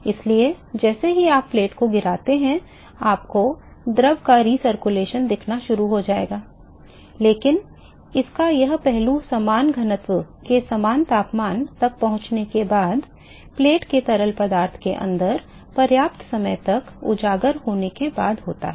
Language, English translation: Hindi, So, as soon as you drop the plate itself you will start seeing recirculation of the fluid, but this aspect of it reaching the same temperature in the same density, is after the plate is exposed to a sufficient time inside the fluid